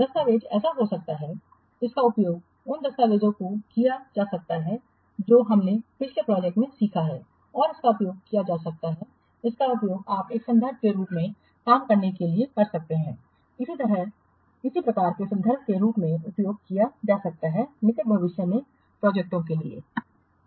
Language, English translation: Hindi, The document it can be, so the document it can be used to disseminate the lessons that you have learned from the previous project and it can be used you can and to work as a reference it can be used as a reference for similar types of projects in near future